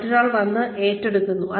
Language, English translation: Malayalam, Somebody else comes and takes over